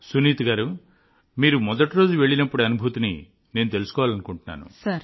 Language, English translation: Telugu, Sunita ji, I want to understand that right since you went there on the first day